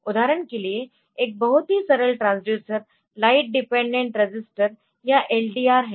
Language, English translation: Hindi, For example, a very simple transducer are the light dependant registers or LDR's light dependant register